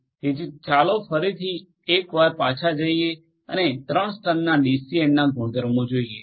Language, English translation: Gujarati, So, let us go back once again and have a look at the properties of a 3 tier DCN